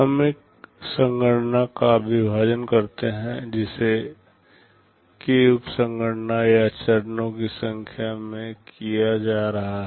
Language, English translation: Hindi, We partition a computation that is being carried out into k number of sub computations or stages